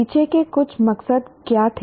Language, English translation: Hindi, What were some of the motives behind